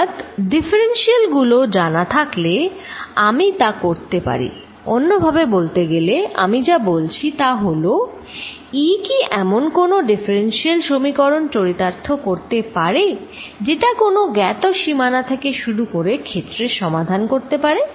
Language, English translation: Bengali, So, if I know the differentials I can do that, in other words what I am saying is:Does E satisfy a differential equation that can be solved to find the field starting from a boundary where it is known